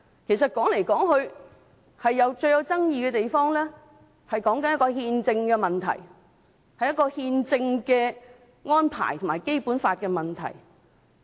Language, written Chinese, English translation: Cantonese, 其實說來說去，最具爭議的地方，是憲政的問題，是憲政的安排和《基本法》的問題。, In fact we have pointed out time and again that the most controversial issue is constitutionality; it concerns the constitutional arrangement and the issue of the Basic Law